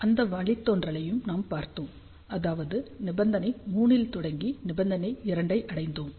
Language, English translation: Tamil, And we had seen that derivation also, we started with condition 3, we reached to condition 2